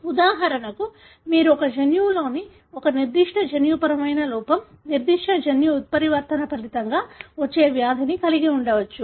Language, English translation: Telugu, For example you may have a disease that is resulting from a particular genetic defect, particular genetic mutation in a gene